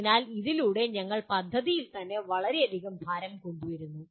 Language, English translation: Malayalam, So through all this we are bringing lot of load on the project itself